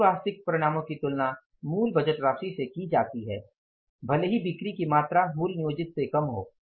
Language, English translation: Hindi, All actual results are compared with the original budgeted amounts even if sales volume is less than originally planned